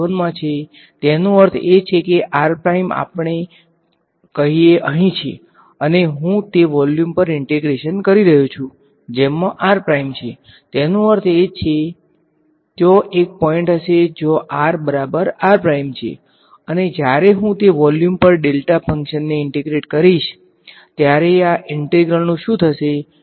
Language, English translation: Gujarati, v 2, if r prime is in v 1; that means, r prime is let us say here, and I am integrating over that volume which contains r prime; that means, there will be one point where r is equal to r prime and when I integrate the delta function over that volume what will happen to this integral I will get